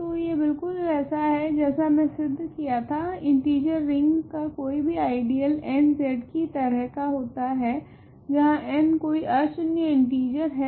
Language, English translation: Hindi, So, this is the exactly like the statement I proved: every ideal in Z the ring of integers is of the form nZ or n in other words for some non negative integer right